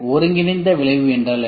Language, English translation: Tamil, What is the combined effect